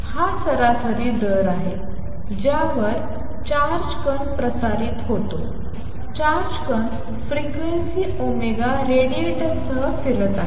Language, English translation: Marathi, This is the average rate at which a charge particle radiates the charge particle is oscillating with frequency omega radiates